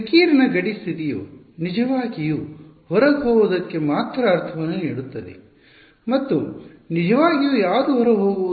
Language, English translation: Kannada, I have the radiation boundary condition make sense only for something which is truly supposed to be outgoing and what is truly supposed to be outgoing